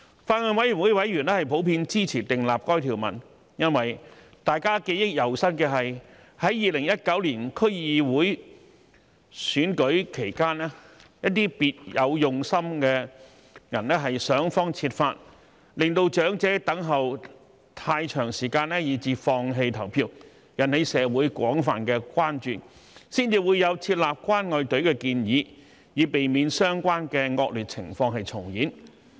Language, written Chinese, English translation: Cantonese, 法案委員會委員普遍支持訂立該條文，因為大家記憶猶新的是，在2019年區議會選舉期間，一些別有用心的人想方設法令長者等候太長時間而放棄投票，引起社會廣泛關注，才會有設立"關愛隊"的建議，以避免相關惡劣情況重演。, Members of the Bills Committee generally support the enactment of this provision as it is still vivid in our mind that during the 2019 District Council Election some people with an ulterior motive tried every means to make the elderly give up voting in view of the long queuing time which has aroused widespread concern in the community . The setting up of a caring queue is therefore proposed in a bid to prevent such undesirable situations from recurring